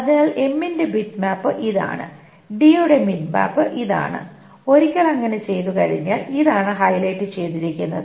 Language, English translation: Malayalam, So, bitmap of m is this one and bitmap of d is this one and once that is being done, this is the one that is highlighted